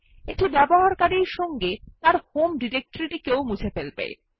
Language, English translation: Bengali, This is to remove the user along with his home directory